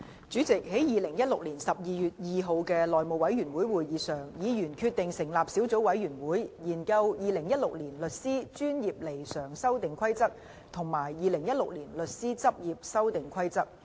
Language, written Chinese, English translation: Cantonese, 主席，在2016年12月2日的內務委員會會議上，議員決定成立小組委員會，研究《2016年律師規則》及《2016年律師執業規則》。, President at the House Committee meeting on 2 December 2016 Members decided to form a subcommittee to study the Solicitors Amendment Rules 2016 and Solicitors Practice Amendment Rules 2016